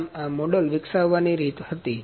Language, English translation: Gujarati, So, this was the way to develop the model